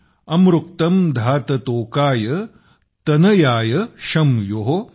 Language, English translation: Marathi, amritkam dhaat tokay tanayaaya shyamyo |